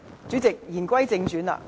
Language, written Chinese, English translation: Cantonese, 主席，言歸正傳。, President back to our topic today